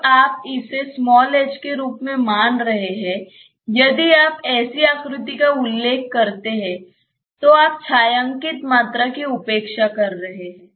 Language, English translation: Hindi, When you are considering this as the h if you refer to such a figure you are neglecting the shaded volume